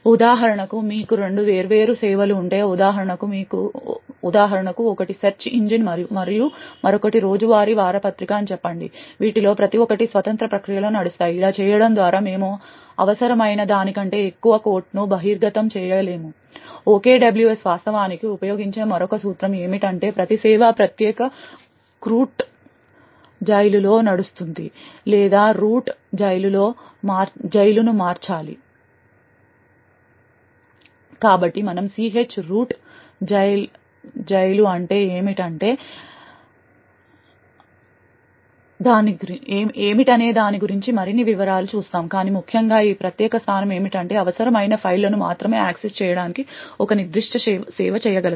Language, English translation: Telugu, So for example if you have two different services so one for example is the search engine and the other one is say the daily newspaper, each of these should run in a independent process, by doing this we will not be exposing more quote than required, another principle that OKWS actually uses is that every service should run in a separate chroot jail or change root jail, so we will see more details of what ch root jail is but essentially what this particular point would provide is that a particular service would be able to access only the necessary files